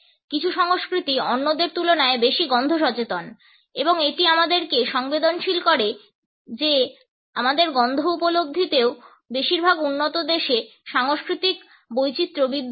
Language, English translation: Bengali, Some cultures are more smell conscious than others and it sensitizes us to the fact that in our appreciation of smells also, cultural variations do exist in most of the developed countries